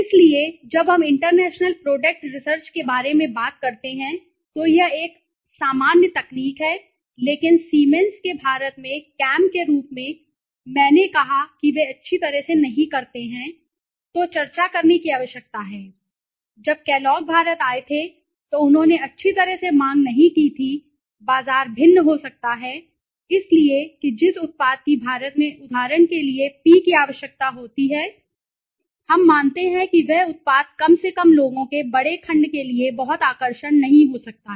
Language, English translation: Hindi, So, when we talk about international product research this is a common technique but need to be discussed so when Siemens as I said cam to India they do not do well, when the Kellogg s came to India they did not do well right so the demand of the market might be different right so the product that P require for example in India we believe that the product might not be very attractive for once large segment of people at least